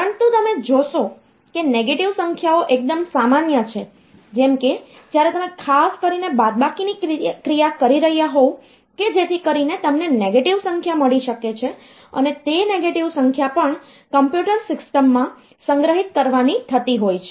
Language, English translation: Gujarati, But you see that negative numbers are quite common, like when you are doing particularly the subtraction operation so you can get a negative number and that negative number also has to be stored in the computer system